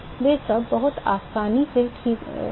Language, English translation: Hindi, They all fall out very easily all right